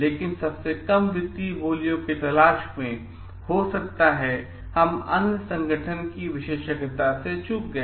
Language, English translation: Hindi, But in search for like keeping towards the lowest financial bids, so, we may have missed out on expertise of other organization